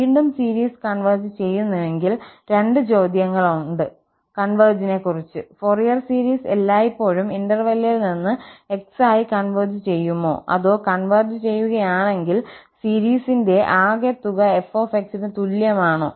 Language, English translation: Malayalam, Again, if the series converges, there are two questions, one about the convergence itself, does the Fourier series always converges for x from the interval or if it converges, is the sum of the series equal to f